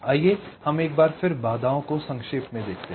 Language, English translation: Hindi, let us summarize the constraints once more